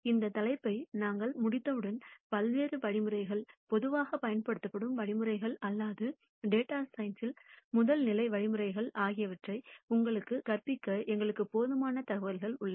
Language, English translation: Tamil, And once we are done with this topic, then we have enough information for us to teach you the various algorithms, commonly used algorithms or the first level algorithms in data science